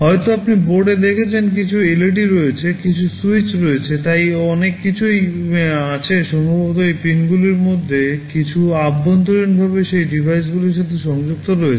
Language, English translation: Bengali, Maybe you have seen in the board there are some LEDs, some switches, so many things are there maybe some of these pins are internally connected to those devices